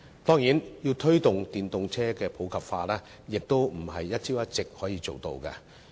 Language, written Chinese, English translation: Cantonese, 當然，推動電動車普及化並非一朝一夕可以做到的事情。, Of course promoting the popularization of EVs cannot be done within nights